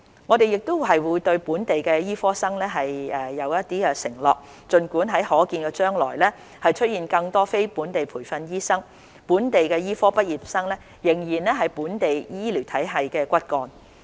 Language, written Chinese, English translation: Cantonese, 我們亦會對本地醫科生作承諾，儘管在可見的將來會出現更多非本地培訓醫生，本地醫科畢業生仍然會是本地醫療體系的骨幹。, We will also make a commitment to local medical students . Even with the availability of more NLTDs in the foreseeable future local medical graduates will continue to be the backbone of the local healthcare system